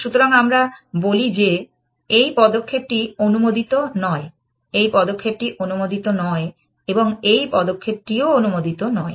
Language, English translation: Bengali, So, we say this move is not allowed, this move is not allowed and this move is not allowed